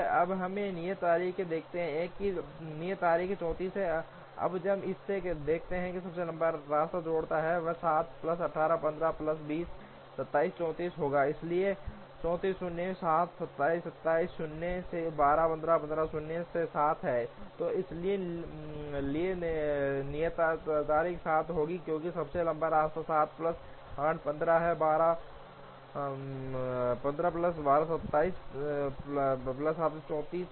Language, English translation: Hindi, Now, we look at the due dates, the due date remains as 34, now when we look at this the longest path that connects will be 7 plus 8, 15 plus 10, 27, so 34, so 34 minus 7 is 27, 27 minus 12 is 15, 15 minus 8 is 7, so due date for this will have to be 7, because the longest path is 7 plus 8 15 plus 12 27 plus 7 34